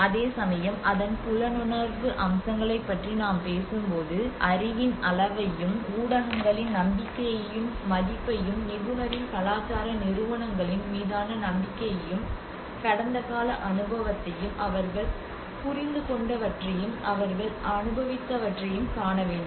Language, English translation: Tamil, Whereas here when we talk about the perception aspects of it the level of knowledge the beliefs and values the media and the trust in the expert’s cultural institutions, and the past experience what they have understood what they have experienced